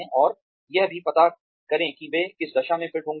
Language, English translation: Hindi, And also, figure out or gauge, where they might be fitting in